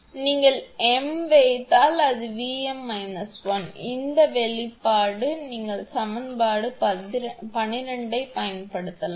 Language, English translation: Tamil, If you put m, it will be V m minus V m minus 1 this expression you can use right that is equation 12